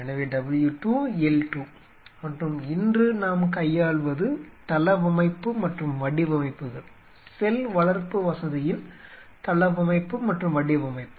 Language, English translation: Tamil, So, W 2, L 2 and so what we are dealing today is layout and designs, layout and design of cell culture facility, facility